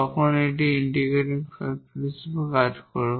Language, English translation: Bengali, So, that will be the integrating factor